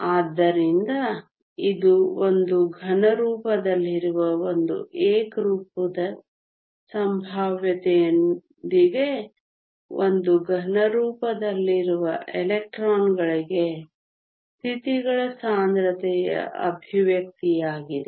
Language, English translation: Kannada, So, this is the expression for the density of states for electrons in a 3D solid with a uniform potential typically in a solid